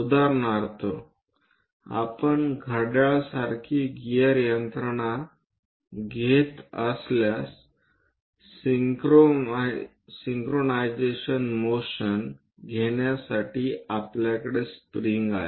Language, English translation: Marathi, For example, if we are taking any gear mechanisms like watch to have the synchronization motion, we have a spring